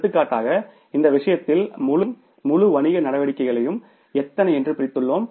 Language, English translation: Tamil, Now for example in this case we have divided the whole firm, whole business operations into how many 1, 2, 3, 4, 4 activities